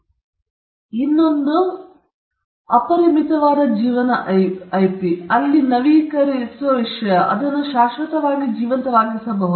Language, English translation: Kannada, And you have the unlimited life IP, where subject to renewal; it can be kept alive forever